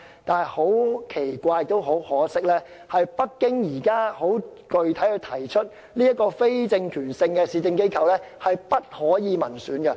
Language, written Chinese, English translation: Cantonese, 但很奇怪亦很可惜的是，北京現在很具體地提出，這個非政權性市政機構的成員不可由民選產生。, It is both strange and regrettable that Beijing has clearly pointed out that members of the new municipal organization must not be returned by election